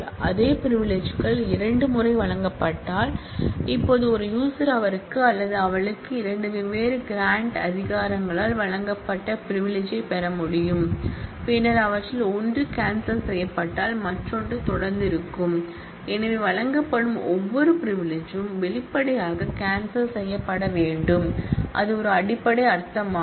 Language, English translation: Tamil, If the same privileges granted twice, now it is possible that a user gets privilege granted to him or her by two different granting authorities, then if ones is one of them is revoked the other will still continue to remain; So, every privilege that is granted needs to be explicitly revoked that is a basic meaning